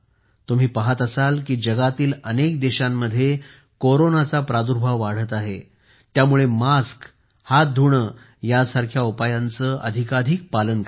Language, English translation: Marathi, You are also seeing that, Corona is increasing in many countries of the world, so we have to take more care of precautions like mask and hand washing